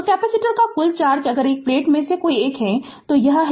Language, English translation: Hindi, So, when you says to capacitors total charge if the either of the plate, it is plus and this is minus